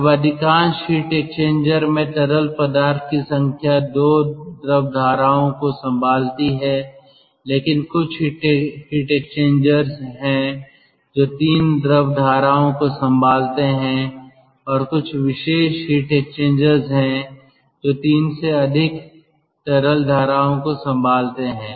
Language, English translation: Hindi, then number of fluids: most of the heat exchanger handles two fluid streams, but there are quite a few heat exchangers they handle three fluid streams and there are special heat exchangers which handle ah, which handles more than three fluid streams